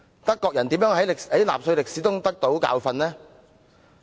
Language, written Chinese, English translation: Cantonese, 德國人如何在納粹歷史中得到教訓？, How do they learn their lessons from the history of Nazi Germany?